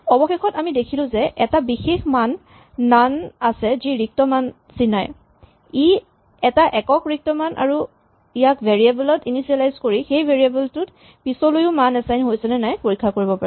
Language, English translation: Assamese, Finally, we have seen that there is a special value none which denotes a null value, it is a unique null value and this can be used to initialize variables to check whether they have been assigned sensible values later in the code